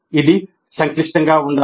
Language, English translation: Telugu, It must be complex